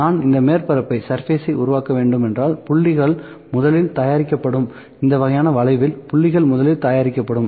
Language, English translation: Tamil, If I need to produce this surface the points would be produced first, this kind of curve the point would be produced first